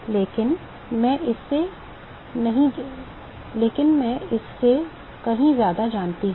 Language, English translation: Hindi, But I know much more than that